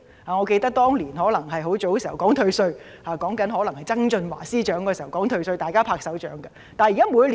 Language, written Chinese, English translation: Cantonese, 我猶記得，當年推出退稅措施時——可能是曾俊華出任司長的年代——大家均拍手稱好。, I still remember how the introduction of tax concession back then―it was probably the time when John TSANG was the Financial Secretary―was met with peoples applause and acclaim